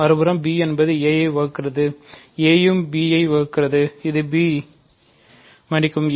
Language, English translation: Tamil, On the other hand, b divides a also, a divides b also; so, this is b sorry